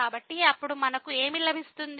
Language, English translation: Telugu, So, what do we get then